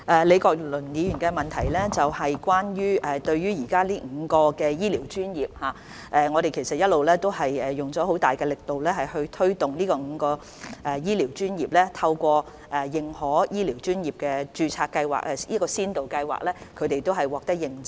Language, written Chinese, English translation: Cantonese, 李國麟議員的補充質詢是關於5個醫療專業，其實我們一直有大力推動這5個醫療專業，並透過認可醫療專業註冊計劃予以認證。, Prof Joseph LEEs supplementary question is concerned with five health care professions . In fact we have been vigorously promoting these five professions and providing accreditation under the Accredited Registers Scheme for Healthcare Professions